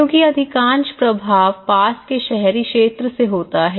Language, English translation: Hindi, Because most of the influence happens from the nearby urban areas